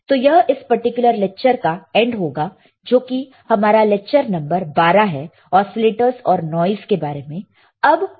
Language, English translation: Hindi, So, this will be the end of this particular lecture which is our lecture number 12 oscillators and noise